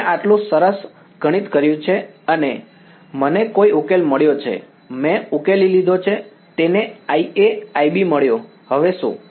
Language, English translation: Gujarati, I have done all these great math I have got some solution I have solved it got I A I B now what